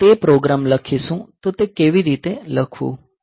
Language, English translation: Gujarati, So, we will write that program; so, how to write it